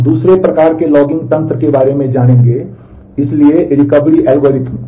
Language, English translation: Hindi, We will learn about another kind of logging mechanism; so, the recovery algorithm